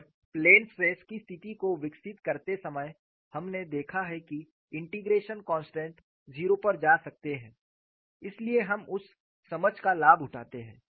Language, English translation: Hindi, And while developing the plane stress situation, we have looked at the integration constants can go to zero so we take advantage of that understanding